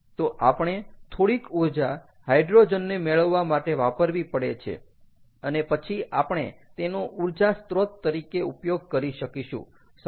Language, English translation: Gujarati, so we have to spend energy first to get hydrogen and then use it as an energy source